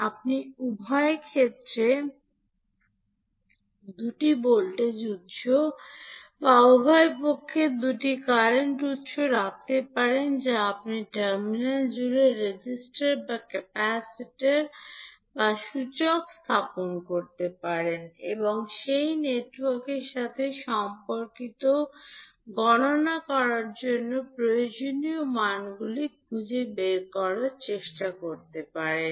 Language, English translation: Bengali, You can either put two voltage sources on both sides or two current sources on both sides, or you can put the resistor or capacitor or inductor across the terminal and try to find out the values which are required to be calculated related to that particular network